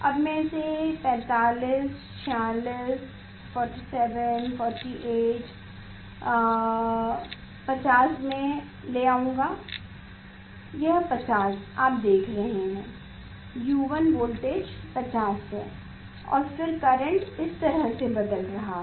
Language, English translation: Hindi, I will go up to 50 It is the 50 you see U1 voltage is 50 and then current is changing like this